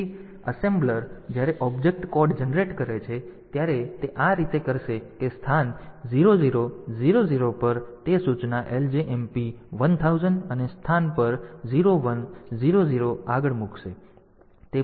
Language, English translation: Gujarati, So, the assembler when they are generating the object code so, it will do it like this that at location 0 0 0 0 it will put the instruction LJMP 1000 and at location 0 1 0 0 onwards